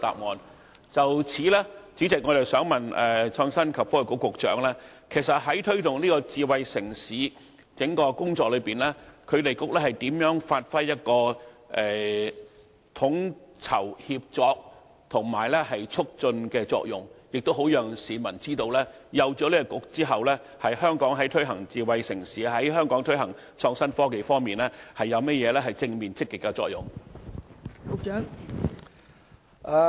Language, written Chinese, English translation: Cantonese, 代理主席，就此，我想問創新及科技局局長，在推動智慧城市整項工作中，局方如何發揮統籌、協作及促進的作用，好讓市民知道設立創新及科技局對香港推行智慧城市和創新科技方面有何正面積極的作用？, Deputy President in this connection may I ask the Secretary for Innovation and Technology how ITB plays a coordinating collaborating and promoting role in driving smart city development so as to make the public aware of the positive effect brought about by ITB on smart city development as well as innovation and technology in Hong Kong?